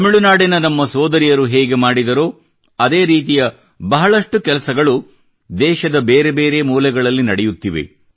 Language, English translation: Kannada, Similarly, our sisters from Tamilnadu are undertaking myriad such tasks…many such tasks are being done in various corners of the country